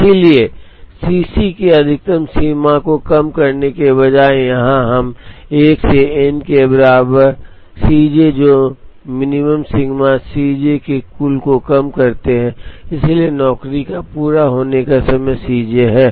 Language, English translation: Hindi, So, instead of minimizing the maximum of the C j’s, here we end up minimizing the total of the C j minimize sigma C j j equal to 1 to n, so the completion time of job j is C j